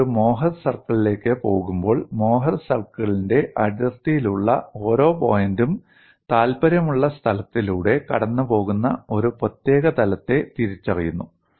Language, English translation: Malayalam, When you go to a more circle, every point at the boundary of the more circle identifies particular plane passing through the point of interest